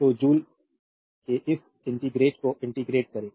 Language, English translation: Hindi, So, you integrate this much of joule you integrate this